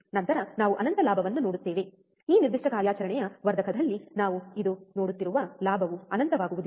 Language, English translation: Kannada, Then we will see infinite gain, we will in this particular operation amplifier the gain will not be infinite that we will see today